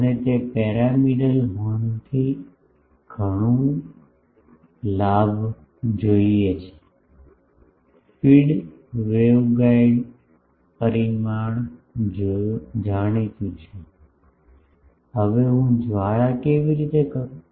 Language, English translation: Gujarati, That I want so, much gain from the pyramidal horn; the feed waveguide dimension is known, now how I do the flare